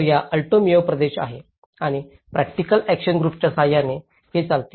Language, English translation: Marathi, So, this is the Alto Mayo region and this has been carried out with the practical action group